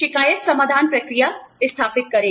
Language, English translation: Hindi, Establish a complaint resolution process